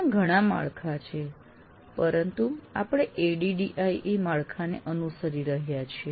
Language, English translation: Gujarati, There are several frameworks, but the one we are following is ADDI